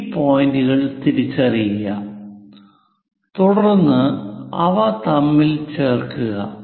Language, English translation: Malayalam, Identify these points, then join them